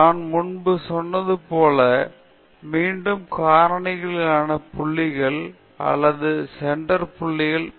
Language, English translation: Tamil, I said earlier that, the repeats may be performed at the factorial points or at the centre points